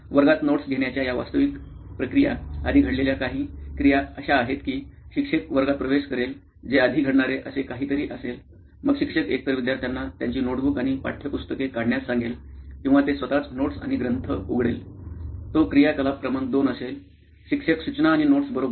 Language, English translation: Marathi, Some of the activities that happened before this actual process of taking notes in class is that a teacher would enter the class that would be something that happens before; Then teacher would either ask the students to take out their notebooks and textbooks or they themselves would have the notes and texts ready; that would be activity number 2, teacher instruction and notes, right